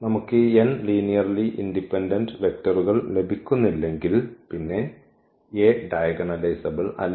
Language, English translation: Malayalam, And if we cannot get these n linearly independent eigenvectors then the A is not diagonalizable